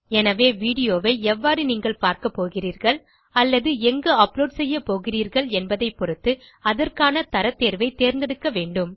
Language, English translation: Tamil, So depending on how you are going to view or where you are going to upload the video, you will have to choose the appropriate quality option